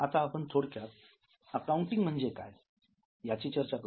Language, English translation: Marathi, Now we will discuss a bit as to what is accounting